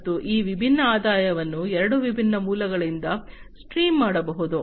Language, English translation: Kannada, And these different revenues could be streamed from two different sources